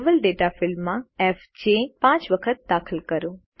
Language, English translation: Gujarati, In the Level Data field, enter fj five times